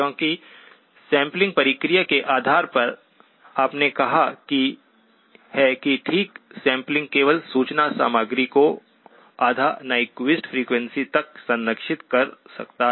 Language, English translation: Hindi, Because by virtue of the sampling process, you have said that okay sampling can only preserve the information content up to half the Nyquist frequency